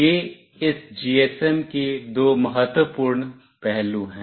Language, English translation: Hindi, These are the two important aspect of this GSM